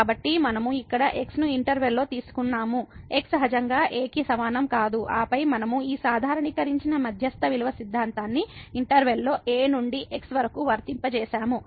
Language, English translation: Telugu, So, we have taken a point here in the interval, is naturally not equal to and then we have applied this generalized mean value theorem in the interval to ok